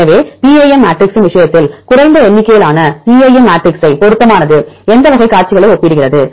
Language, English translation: Tamil, So, in the case of PAM matrix, lower number of PAM matrix is appropriate for comparing which type of sequences